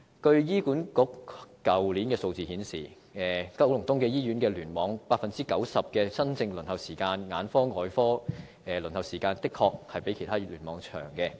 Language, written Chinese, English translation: Cantonese, 據醫管局去年的數字顯示，九龍東醫院聯網 90% 的新症輪候時間、眼科和外科輪候時間的確較其他聯網為長。, As shown by the data of HA last year in the Kowloon East Cluster KEC the waiting time for 90 % of new case booking specialties of eye and surgery was indeed longer than that in other clusters